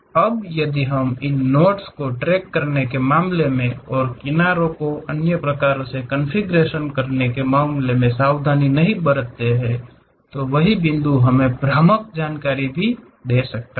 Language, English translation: Hindi, Now, if we are not careful in terms of tracking these nodes, vertices, edges and other kind of configuration, the same points may give us a misleading information also